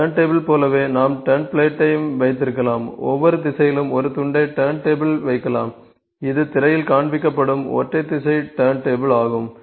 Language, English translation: Tamil, Similar to turntable we can have turn plate, we can just put one piece on each direction in turntable, it is a single direction turntable that is being shown in the screen